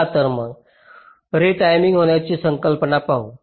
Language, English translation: Marathi, so lets see, lets look at the concept of retiming